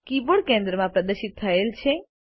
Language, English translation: Gujarati, The Keyboard is displayed in the centre